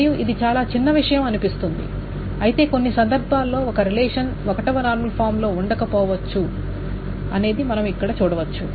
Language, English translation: Telugu, And this seems to be very trivial, but in some cases we can see that a relation may not be in first normal form